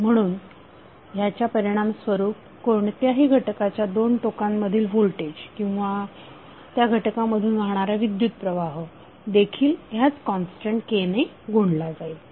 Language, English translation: Marathi, So output effect that may be the voltage across a particular element or current flowing through that element will also be multiplied by the same constant K